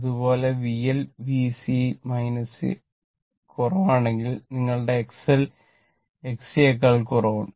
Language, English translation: Malayalam, Suppose if your V L less than V C, that means, my X L less than X C just opposite